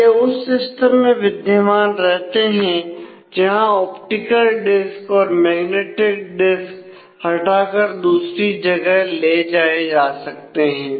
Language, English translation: Hindi, So, they exist with the system whereas, optical disk and magnetic disk can be removed and taken elsewhere